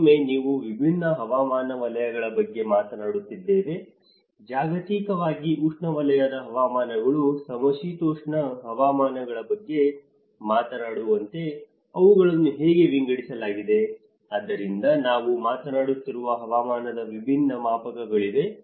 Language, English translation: Kannada, Again, we are talking about different climatic zones, in a globally how they are divided like we are talking about the tropical climates, temperate climates, so there is a different scales of climate which we are also talking about